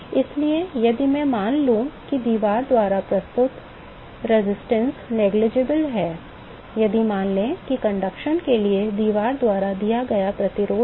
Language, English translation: Hindi, So, if I assume that the resistance offered by the wall is negligible; if assume that the resistance offered by wall for conduction